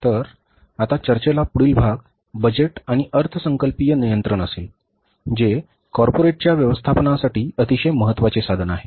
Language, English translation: Marathi, So, now the next part of discussion will be the budgets and the budgetary control, which is a very important tool and instrument for managing the corporate affairs